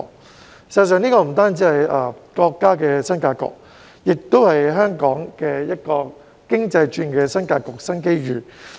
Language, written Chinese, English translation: Cantonese, 事實上，這不單是國家的新格局，也是香港經濟轉型的新格局、新機遇。, In fact this is not only a new pattern for the country but also a new pattern and new opportunity for the economic restructuring of Hong Kong